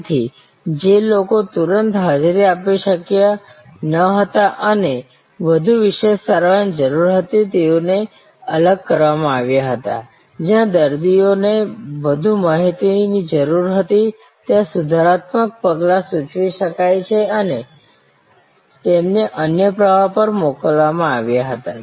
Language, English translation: Gujarati, So, people who could not immediately be attended to and needed much more specialized treatment were segregated, patients where more information were needed, corrective actions could be suggested and they were send on another stream